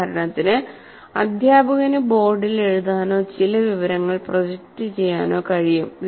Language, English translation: Malayalam, For example, the teacher can write something or project some information